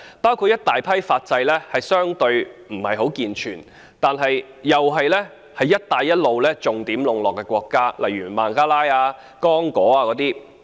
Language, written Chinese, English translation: Cantonese, 包括一大批法制相對地不健全，但又是在"一帶一路"下重點籠絡的國家，例如孟加拉、剛果等。, A large number of them are countries with less than robust legal systems but being the prime targets of wooing under the Belt and Road Initiative such as Bangladesh and Congo